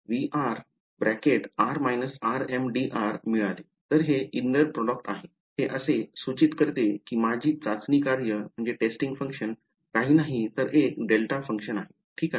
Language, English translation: Marathi, So, this is a inner product, if implies that my testing functions t m of r is nothing, but a delta function ok